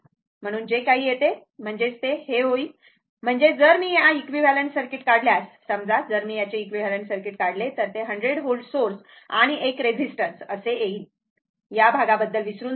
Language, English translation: Marathi, Therefore, whatever it comes; that means, it will be ; that means, if I draw the equivalent circuit of this one, suppose, then I have only one , your 100 volt source and one resistance is like this, forget about this part